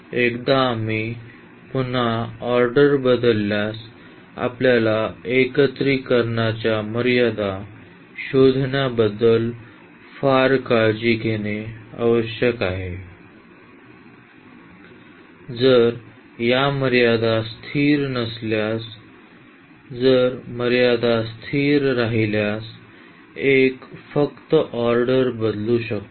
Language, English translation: Marathi, Once we change the order again we need to be very careful about the finding the limits of the integration, if these limits are not constant; if the limits are constant one can simply change the order